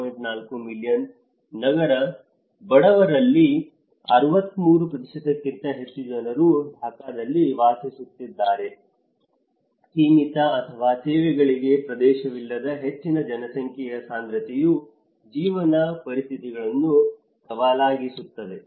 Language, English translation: Kannada, 4 million urban poor living in cities more than 63% live in Dhaka alone, high density of population with limited or no access to services make living conditions challenging